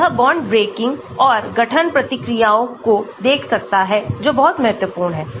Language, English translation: Hindi, So, it can look at bond breaking and forming reactions that is very important